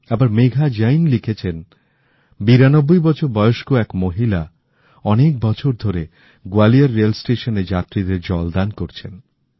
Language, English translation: Bengali, Whereas Megha Jain has mentioned that a 92 year old woman has been offering free drinking water to passengers at Gwalior Railway Station